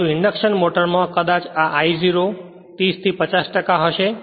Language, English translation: Gujarati, But in induction motor it will be maybe 30 to 50 percent this I 0